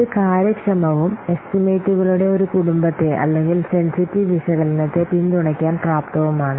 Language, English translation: Malayalam, It is efficient and able to support a family of estimations or a sensitive analysis